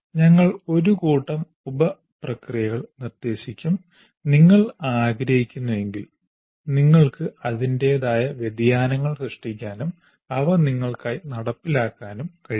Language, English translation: Malayalam, As I said, we'll propose a set of sub processes if you wish you can create your own variations of that and implement it for yourself